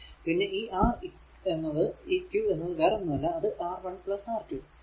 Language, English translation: Malayalam, So, otherwise Req is equal to R 1 R 2 upon R 1 plus R 2